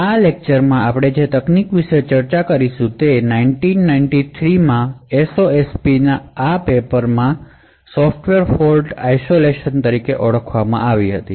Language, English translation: Gujarati, The techniques that we will be actually discussing in this particular lecture is present in this paper efficient Software Fault Isolation in SOSP in 1993